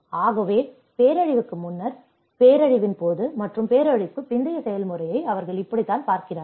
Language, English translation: Tamil, So, this is how they looked at the process of before disaster, during disaster and the post disaster